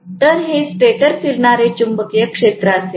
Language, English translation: Marathi, So, this is going to be the stator revolving magnetic field